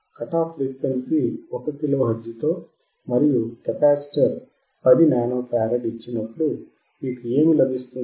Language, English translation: Telugu, With a cut off frequency given as 1 kilohertz and a capacitor of 10 nano farad what you will get